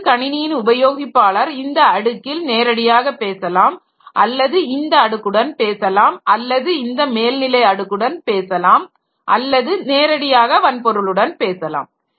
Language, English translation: Tamil, So, as a user of the system, so user can talk to this layer directly or can talk to this layer or the user can talk to the upper this layer or the user can directly talk to the hardware